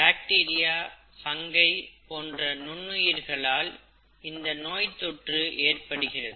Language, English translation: Tamil, Infection is caused by micro organisms, such as bacteria, fungi and so on, okay